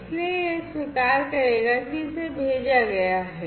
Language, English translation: Hindi, So, it will acknowledge that it has been sent